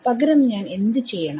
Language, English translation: Malayalam, What do I do